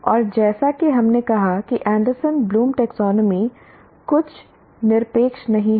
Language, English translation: Hindi, So to that extent Anderson and Bloom taxonomy is one of the taxonomies